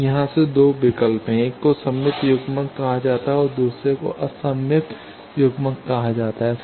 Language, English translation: Hindi, Now, from here there are 2 choices one is called symmetrical coupler another is called antisymmetrical coupler